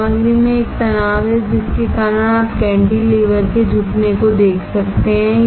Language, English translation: Hindi, There is a stress in the material because of which you can see bending of the cantilever